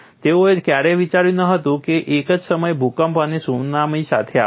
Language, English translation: Gujarati, They never thought there would be a combination of earthquake and tsunami coming at the same time